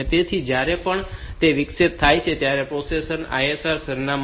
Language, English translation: Gujarati, So, whenever that interrupt occurs, the processor need not check for the ISR address